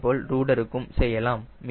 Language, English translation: Tamil, similarly, rudder as well